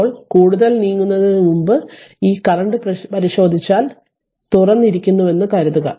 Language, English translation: Malayalam, Now before moving further if you look into that this current, this current right this suppose this current this is open this side is open